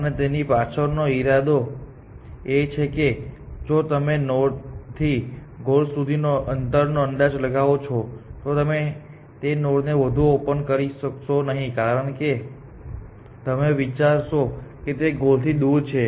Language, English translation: Gujarati, And the intension behind that is if you over at estimates the distance of some node from the goal then you will never explode that node further, because you will think it is too far from the goal essentially